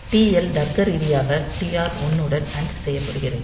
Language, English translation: Tamil, So, it is TL logically anded with TR1